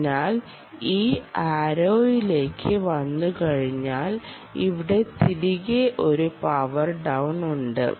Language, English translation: Malayalam, so once it comes to this arrow back here, there is a power down